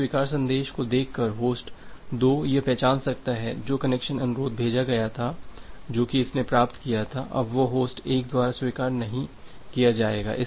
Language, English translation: Hindi, By looking into the reject message, host 2 can identify that the connection request that was sent that it was received it is not going to be accepted by host 1 anymore